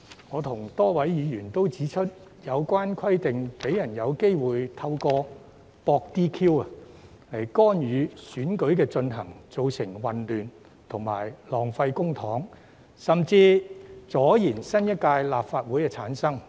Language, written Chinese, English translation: Cantonese, 我與多位議員都指出，有關規定讓人有機會透過"博 DQ" 來干擾選舉進行，造成混亂及浪費公帑，甚至阻延新一屆立法會的產生。, As many Members and I have pointed out this requirement gives one a chance to interfere with the election by intentionally provoking his disqualification thus causing confusion wasting public money and even delaying the formation of a new Legislative Council